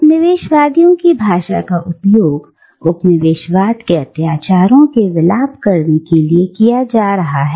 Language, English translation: Hindi, The language of the colonisers being used to lament the atrocities of colonialism